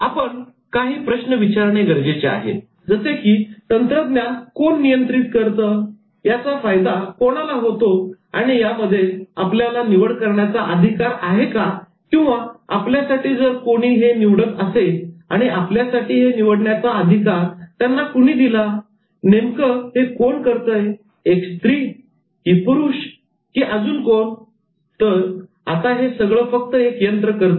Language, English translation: Marathi, we need to ask questions like who controls technology who benefits from it and do we have a choice or is somebody choosing it for us and who is giving him or her the power to choose it or is it him or her or just it just just a machine